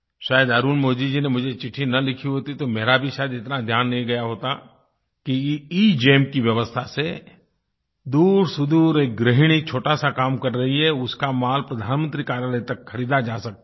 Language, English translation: Hindi, Had Arulmozhi not written to me I wouldn't have realised that because of EGEM, a housewife living far away and running a small business can have the items on her inventory purchased directly by the Prime Minister's Office